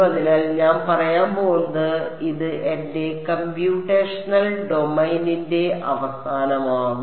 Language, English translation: Malayalam, And so, what I will say I will make this the ends of my computational domain